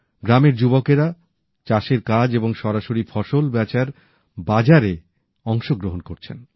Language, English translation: Bengali, The rural youth are directly involved in the process of farming and selling to this market